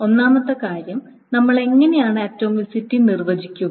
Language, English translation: Malayalam, The first thing is how do we define atomicity